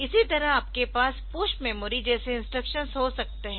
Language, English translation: Hindi, And then with similarly the push memory, so you can also have this push memory